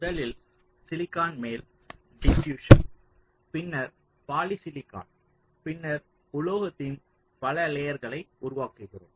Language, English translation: Tamil, so on top of the silicon we create the diffusion, then poly silicon, then several layers of metal